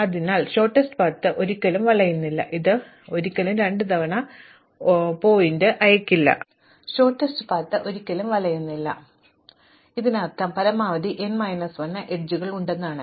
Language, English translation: Malayalam, So, shortest path never loops, so it will never does not sent vertex twice, this means that I at most have at most n minus 1 edges